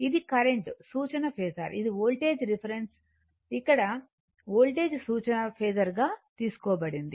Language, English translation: Telugu, This is current as a reference phasor here is voltage that is it is because voltage here is taken as reference phasor